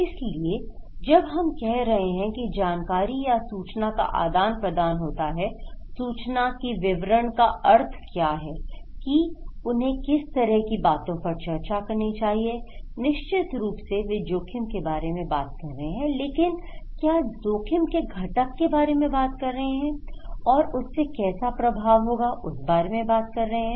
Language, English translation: Hindi, So, when we are saying that the exchange of informations, what is the meaning of content of that, what kind of content they should discuss, of course, they are talking about risk but what is, what component of risk they are talking about, so that’s we are talking okay